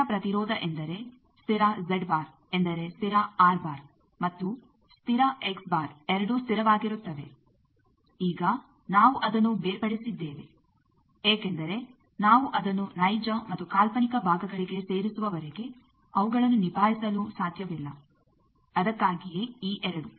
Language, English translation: Kannada, Constant impedance means constant Z bar that means, both constant R bar and constant X bar, now we have separated it because unless and until we get it into real and imaginary parts we cannot handle it that is why these two